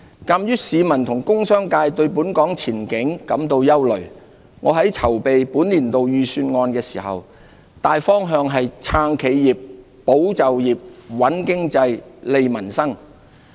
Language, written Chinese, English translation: Cantonese, 鑒於市民和工商界對本港經濟前景感到憂慮，我在籌備本年度預算案時，大方向是"撐企業、保就業、穩經濟、利民生"。, Given the public and the business communitys concerns about Hong Kongs economic outlook I prepared this years Budget along the direction of supporting enterprises safeguarding jobs stabilizing the economy strengthening livelihoods